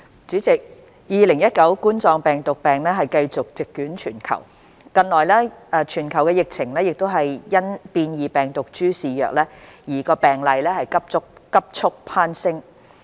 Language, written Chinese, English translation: Cantonese, 主席 ，2019 冠狀病毒病繼續席捲全球，近來全球疫情更因變異病毒株肆虐而病例急速攀升。, President COVID - 19 continues to sweep across the world with a recent global upsurge of cases arising from the rapid spread of mutant strains